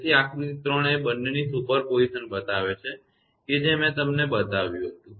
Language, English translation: Gujarati, So, figure 3 shows the superposition of both right this I showed you